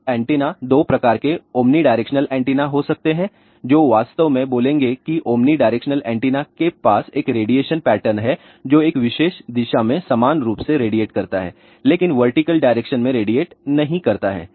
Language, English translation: Hindi, Now, antennas can be two type omni directional antenna which will actually speaking omni directional antenna has a radiation pattern which radiates in this particular direction equally , but in the vertical direction radiation is not their